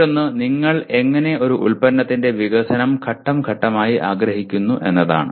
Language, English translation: Malayalam, And the other one is how do you want to phase the development of a product